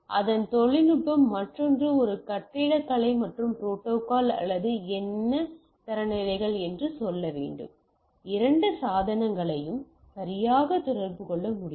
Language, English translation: Tamil, So, its the technology, the other should be a architecture and the protocol or what we say standards so, that the two devices can communicate right